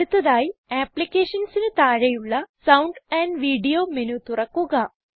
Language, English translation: Malayalam, Next, under Applications, lets explore Sound menu